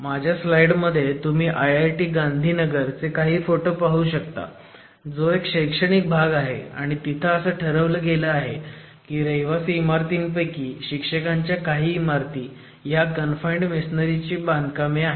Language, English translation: Marathi, You will see in my slides a number of photographs which are from IIT Gandhneagher which is an educational campus which has decided that some of the residential buildings there particularly the faculty blocks are all confined masonry constructions